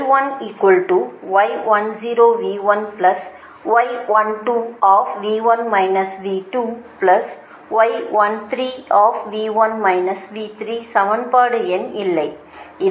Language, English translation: Tamil, this is equation one, right